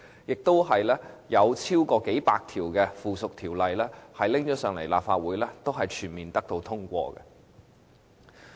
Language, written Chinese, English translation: Cantonese, 此外，還有超過數百項附屬條例提交立法會，全部均獲通過。, Furthermore more than several hundred pieces of subsidiary legislation tabled before the Legislative Council were passed too